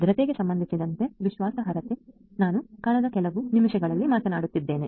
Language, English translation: Kannada, Trustworthiness with respect to security is what I have been talking about in the last few minutes